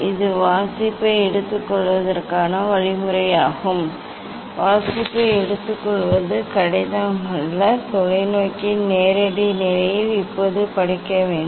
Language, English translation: Tamil, this is the procedure to take the reading, taking reading is not difficult one should take now reading at the direct position of the telescope